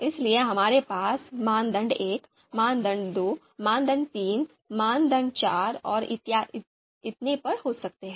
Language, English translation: Hindi, So the criteria that we might have criteria 1, criteria 2, criteria 3, criteria 4